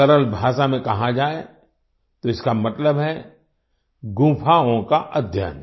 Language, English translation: Hindi, In simple language, it means study of caves